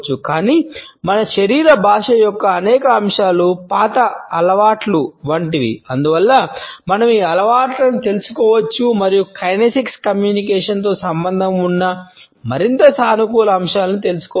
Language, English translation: Telugu, But, several aspects of our body language are like old habits and therefore, we can unlearn these habits and learn more positive aspects associated with the kinesics communication